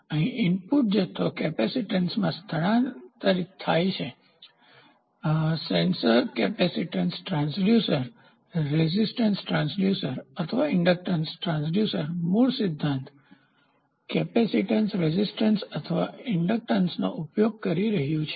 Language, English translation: Gujarati, So, here the input quantity is transfused into capacitance; sensor capacitance transducer, resistance transducer or inductance transducer, the basic principle is using capacitance, resistance or inductance